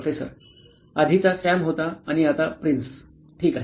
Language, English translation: Marathi, First one was Sam and now Prince, ok